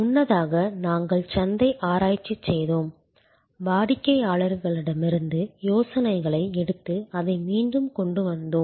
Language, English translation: Tamil, Earlier, we did market research, took ideas from customer and brought it back